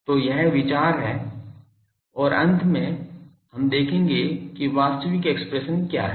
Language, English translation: Hindi, So, that is the idea and finally, we will see that what is the actual expression